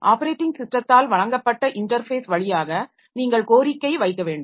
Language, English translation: Tamil, You have to request it via an interface provided by the operating system which is known as system calls